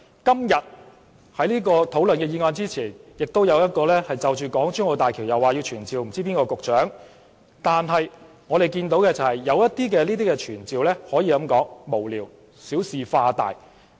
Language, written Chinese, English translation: Cantonese, 今天討論這項議案前，亦有一項就港珠澳大橋傳召某位局長，這些傳召有很多可以說是無聊、小事化大。, Before discussing this motion today there was a motion to summon another Director of Bureau in respect of the Hong Kong - Zhuhai - Macao Bridge . Many of these summoning motions can be considered trivial making a mountain out of a molehill